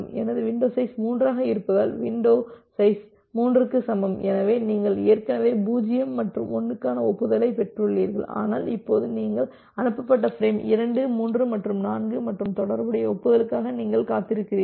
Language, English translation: Tamil, So, because my window size is 3 so, window size is equal to 3 because my window size is equal to 3, so you have already received acknowledgement for 0 and 1, but now you are you have transmitted frame say transmitted frame 2, 3 and 4 and you are waiting for the corresponding acknowledgement